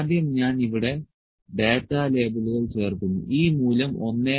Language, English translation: Malayalam, First I will add the data labels here, the data labels this value is 1